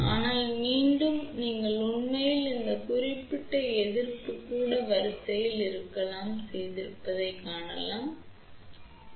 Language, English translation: Tamil, But, again I want to mention that many a times you may actually see that this particular resistance may be even of the order of kilo ohm also